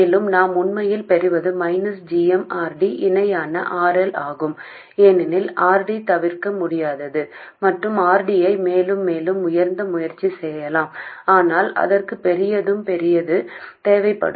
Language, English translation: Tamil, And what we really get is minus Gm, RD parallel RL because RD is inevitable and we can try to make RD higher and higher but that will need a larger and larger supply voltage